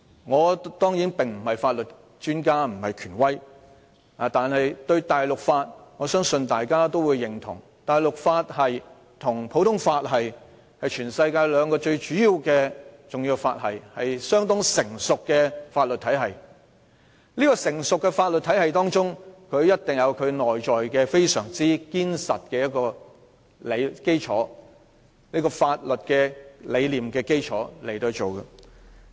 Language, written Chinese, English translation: Cantonese, 我當然不是法律專家或權威，但是，我相信大家也會認同，大陸法與普通法是全世界兩個最主要、重要和相當成熟的法律體系，而一個成熟的法律體系，一定建立在非常堅實的法律基礎上。, Of course I am no legal expert or authority . Nevertheless I believe Members will also agree that civil law and common law are the worlds two major most important and relatively sophisticated legal systems and a sophisticated legal system must be built on a solid legal foundation